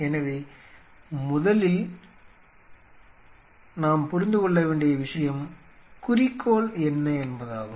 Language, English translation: Tamil, So, first and foremost thing what has to be understood is what is the objective